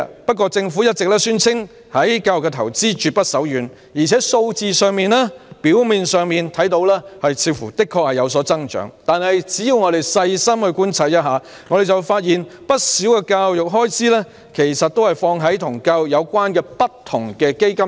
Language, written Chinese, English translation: Cantonese, 不過，政府一直宣稱對教育的投資絕不手軟，而且從數字上看來似乎有所增長，但只要我們細心觀察，便會發現不少教育開支都投放在與教育有關的不同基金上。, The retrogression is well evident . The Government always claims that it has invested heavily in education and the amount seems to be on the increase . However if we observe carefully we will find that quite a lot of education expenditures are invested in different education related funds